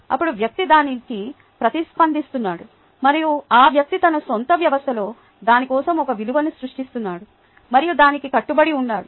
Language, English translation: Telugu, then the person is responding to it and then the person is creating a value for it in his or her own system and commits to it